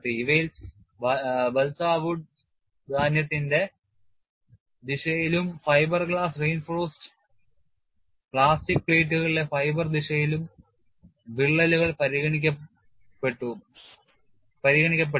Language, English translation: Malayalam, In these, cracks along the direction of the grain in balsa wood and along the fiber direction in the fiber glass reinforced plastic plates were considered